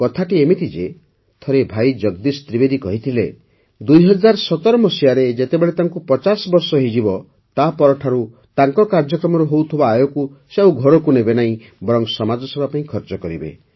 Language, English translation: Odia, It so happened that once Bhai Jagdish Trivedi ji said that when he turns 50 in 2017, he will not take home the income from his programs but will spend it on society